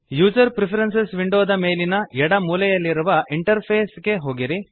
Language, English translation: Kannada, Go to Interface at the top left corner of the User Preferences window